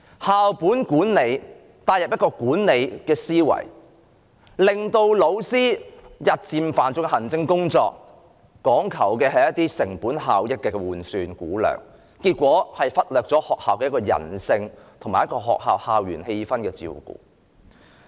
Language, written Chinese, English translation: Cantonese, 校本管理引入一個管理的思維，日漸加重老師的行政工作，講求成本效益的換算估量，結果卻忽略了學校人性及校園氣氛的照顧。, As a result of a management mentality introduced under school - based management the administrative workload of teachers has been increased and quantity has been emphasized in the assessment of cost effectiveness resulting in negligence in fostering a people - centred school atmosphere on campus